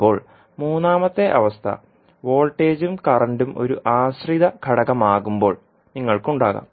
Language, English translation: Malayalam, Now, third condition may arise when you have, voltage and current as a dependent component